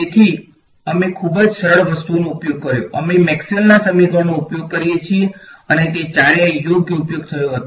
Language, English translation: Gujarati, So, we used very simple things, we use Maxwell’s equations and all four of them were used right